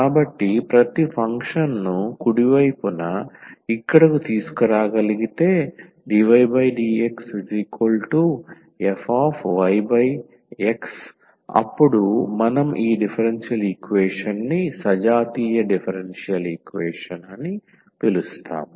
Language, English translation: Telugu, So, if we can bring every the function here right hand side in the form of dy over x as a function of y over x then we call this differential equation homogeneous differential equation